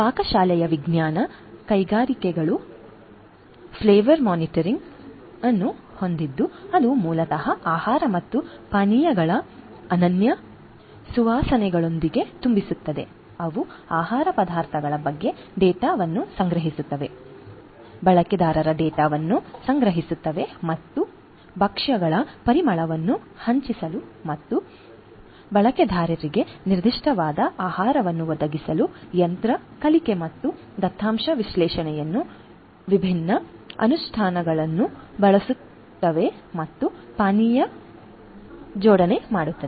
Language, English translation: Kannada, Culinary science industries has the flavor matrix which basically infuses foods and beverages with unique flavors, they collect data on the food ingredients, collect user data and uses different implementations of machine learning and data analysis to enhance the flavor of dishes and provide user specific food and beveraging pairing